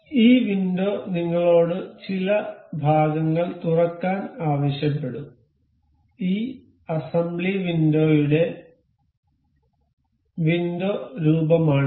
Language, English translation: Malayalam, So, thus window will ask to us open some parts, this is the windowed look like for this assembly window